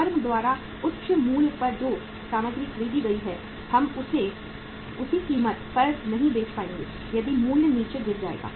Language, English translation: Hindi, The material which has been purchased at the high prices by the firm we would not be able to sell that at the same price if the price will fall down